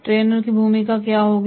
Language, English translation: Hindi, What will be the role of the trainer